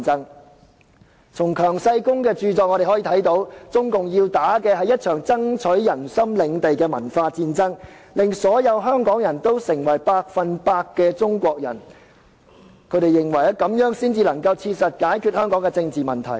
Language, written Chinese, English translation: Cantonese, 我們從強世功的著作可見，中共要打一場爭取人心領地的文化戰爭，令所有香港人成為百分百的中國人，這樣才能切實解決香港的政治問題。, As we can see from QIANG Shigongs book CPC has to wage a cultural warfare to win the hearts of the people turning all Hong Kong people into out - and - out Chinese people so as to practically resolve the political issues of Hong Kong